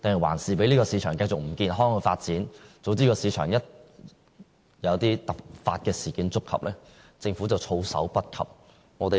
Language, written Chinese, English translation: Cantonese, 還是讓這個市場繼續不健康地發展，總之市場一旦有突發事件，政府便措手不及。, Instead it simply let the market continue with its unhealthy operation . Because of its non - action the Government is essentially unprepared for any sudden changes in the market